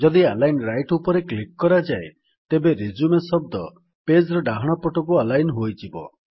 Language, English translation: Odia, If we click on Align Right, you will see that the word RESUME is now aligned to the right of the page